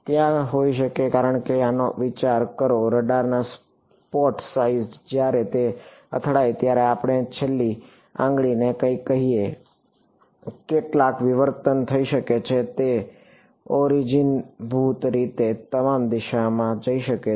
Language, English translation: Gujarati, There could be because think of this the spot size of the of the radar being when it hits let us say the tail finger something, some diffraction can happen it can go in basically all directions